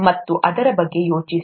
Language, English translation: Kannada, And think about that